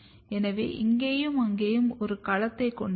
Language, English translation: Tamil, So, you can have one domain here and here